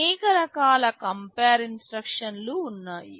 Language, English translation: Telugu, There are a variety of compare instructions